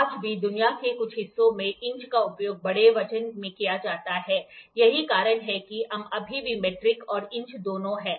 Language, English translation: Hindi, Even today inches are used in big weight in some part of the world so, that is why we still have both metric and inches